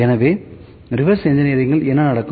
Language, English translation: Tamil, So, what happens in reverse engineering